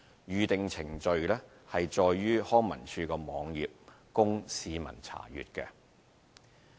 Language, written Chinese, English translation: Cantonese, 《預訂程序》載於康文署網頁供市民查閱。, The Booking Procedure is available on the website of LCSD for public information